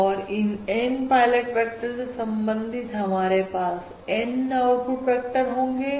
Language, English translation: Hindi, And, corresponding to these transmitted N pilot vectors, we are going to have N output vectors